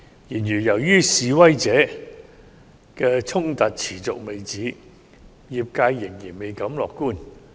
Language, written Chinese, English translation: Cantonese, 然而，由於示威衝突持續未止，業界仍然未敢樂觀。, Nevertheless as demonstrations and clashes persist the industry dares not to be optimistic